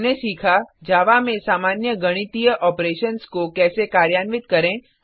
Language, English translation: Hindi, we have learnt How to perform basic mathematical operations in Java